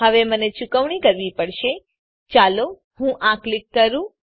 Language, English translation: Gujarati, Now i have to make payment , Let me click this